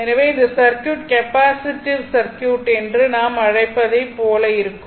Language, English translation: Tamil, So, circuit will be like your capacity what you call that your capacity circuit right